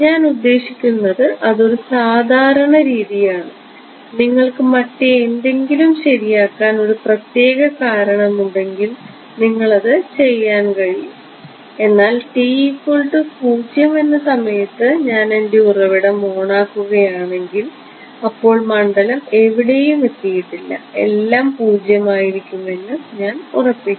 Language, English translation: Malayalam, I mean that is a typical way they may if you have a specific reason to set it to something else you could do that, but if my I am turning my source on at time t is equal to 0 right then of course, filed has not reached anywhere I will set everything will be 0 right